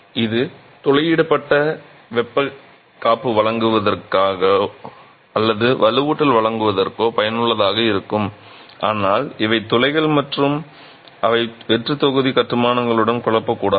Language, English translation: Tamil, These perforations are useful either for providing thermal insulation or for providing reinforcements but these are perforations and they should not be confused with hollow block constructions